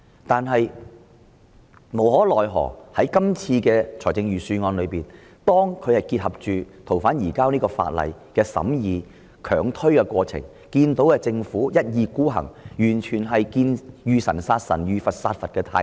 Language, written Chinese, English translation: Cantonese, 不過，無奈的是，《條例草案》的審議結合他們強推對《條例》的修訂，讓我們看到政府一意孤行、"遇神殺神，遇佛殺佛"的態度。, Regrettably they have combined the scrutiny of the Bill with their hard - line promotion of the amendment to the Ordinance . We again see the dogmatic go - at - all - cost attitude of the Government